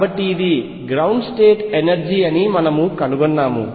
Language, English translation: Telugu, So, we found that this is the ground state energy